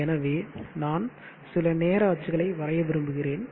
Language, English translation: Tamil, So therefore, I would like to draw few access, time axis